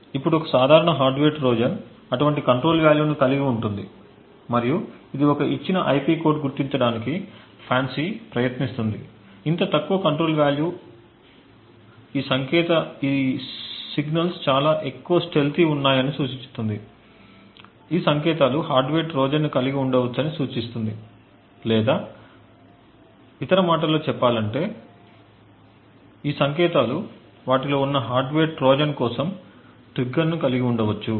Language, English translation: Telugu, Now a typical Hardware Trojan would have such a control value that is it would have a such a control value and this is what FANCI tries to actually identify given an IP code, such a low control value indicates that these signals are highly stealthy which in turn would indicate that these signals may potentially have a hardware Trojan present in them or in other words these signals may potentially have a trigger for a hardware Trojan present in them